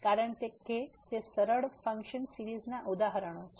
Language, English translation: Gujarati, Because they are examples of smooth function series